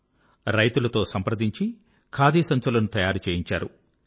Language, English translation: Telugu, He contacted farmers and urged them to craft khadi bags